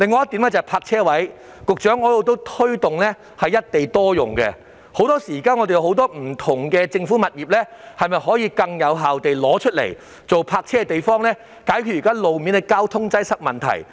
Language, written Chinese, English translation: Cantonese, 此外，就泊車位方面，局長，我一直推動"一地多用"，希望不同政府物業可以更有效用作泊車用途，以解決路面的交通擠塞問題。, In addition in respect of parking spaces Secretary I have long been promoting a single site multiple uses model with the hope that various government properties can be used more effectively for parking purposes thus resolving traffic congestion problems on the roads